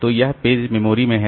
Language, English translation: Hindi, So, this is the page is there in the memory